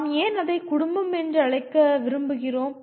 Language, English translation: Tamil, Why do we want to call it family